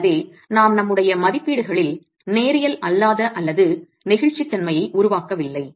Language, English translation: Tamil, So we have not built in non linearity or in elasticity in our estimates